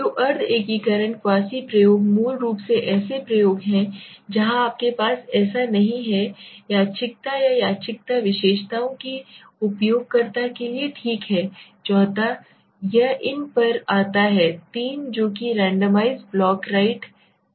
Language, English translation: Hindi, So quasi integration quasi experimentation are basically experiments where you do not have that randomness or to user of the randomness characteristics okay ,the fourth is it comes to these three which comes in the randomized block right